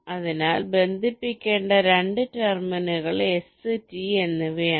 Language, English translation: Malayalam, so the two terminals to be connected are s and t